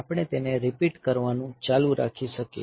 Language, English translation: Gujarati, So, we can just go on repeating it